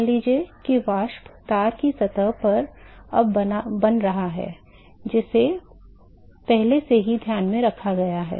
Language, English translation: Hindi, Suppose if the vapor is the now forming at the surface of the wire that is already taken into account